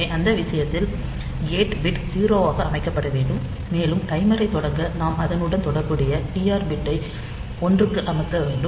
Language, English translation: Tamil, So, in that case the gate bit should be set to 0, and to start the timer we have to set the corresponding TR bit to one